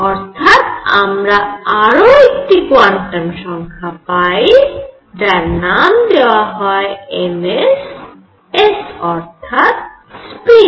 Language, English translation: Bengali, So now, we have one more quantum number; let us call it m s, s for a spin